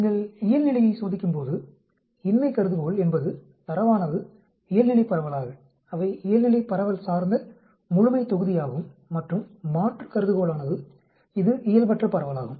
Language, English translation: Tamil, When you are testing for normality, the null hypothesis is the data is normally distributed from the, they are normally distributed population and alternate hypothesis is it is a Non normal distribution